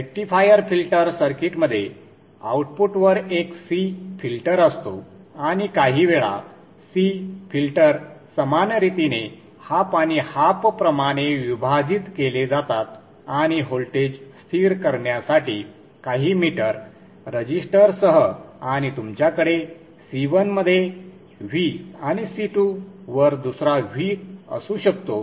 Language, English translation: Marathi, The rectifier filter circuit has a C filter at the output and sometimes the C filters are split equally like this, half and half and with some leader resistor to stabilize the voltage and you can have a V in by 2 across C1 and another V in by 2 across C2